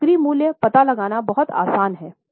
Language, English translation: Hindi, So, it is very easy to know the selling price